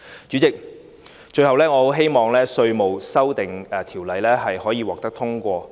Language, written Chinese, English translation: Cantonese, 主席，最後我很希望《條例草案》可以獲得通過。, President lastly I very much hope that the Bill will be passed